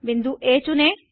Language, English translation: Hindi, Select point A